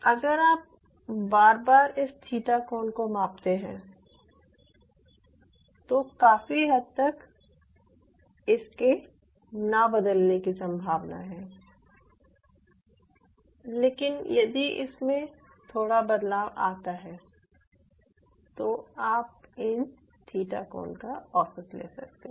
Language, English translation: Hindi, but even if there is a slight change in the theta angle, you averaged it out, all this theta, averaging the theta angle